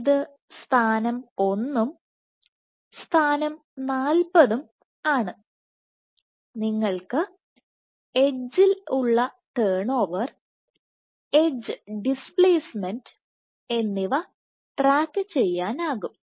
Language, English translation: Malayalam, So, this is position 1 and position 40, along the edge you can track the turn over, the edge displacement